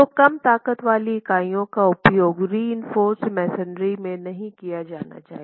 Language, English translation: Hindi, , low strength units should not be used for reinforced masonry at all